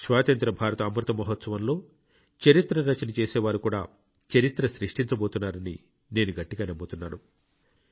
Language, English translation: Telugu, You too come forward and it is my firm belief that during the Amrit Mahotsav of Independence the people who are working for writing history will make history as well